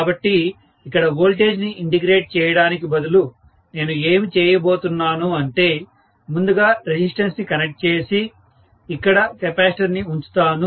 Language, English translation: Telugu, So, instead of getting the voltage integrated, what I am going to do is to connect first of all a resistance and put a capacitor here